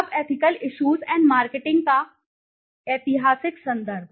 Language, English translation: Hindi, Now historical context of ethical issues and marketing